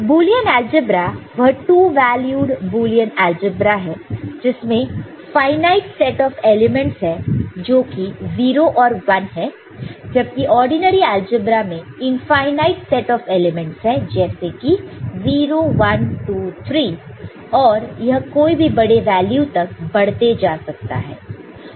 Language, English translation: Hindi, And Boolean algebra is this 2 valued Boolean algebra the one that we have seen has got only finite set of elements 0 and 1 for ordinary algebra that is infinite set of elements certain 0 1 2 3 4 the number can extend to any high value